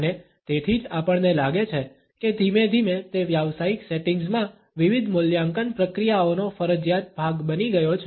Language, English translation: Gujarati, And, that is why we find that gradually it became a compulsory part of different evaluation processes in professional settings